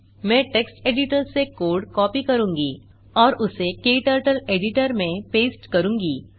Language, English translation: Hindi, I will copy the code from text editor and paste it into KTurtle editor